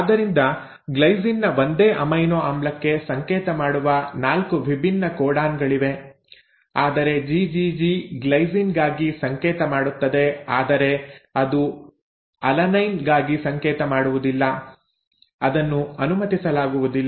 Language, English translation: Kannada, So there are 4 different codons which code for the same amino acid which is glycine, but it is not possible that the GGG will code for glycine will also code for alanine, that is not allowed